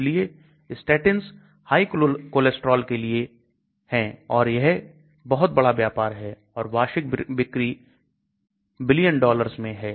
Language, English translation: Hindi, So statins are meant for high cholesterol and it is a big business and annual sales could run into billions of dollars